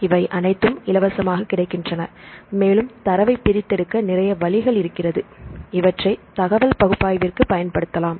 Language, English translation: Tamil, All these databases are freely available and you can have several search options to extract the data and you can use this information for analysis